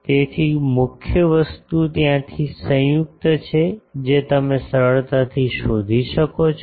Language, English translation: Gujarati, So, main thing is from there the joint one you can easily find out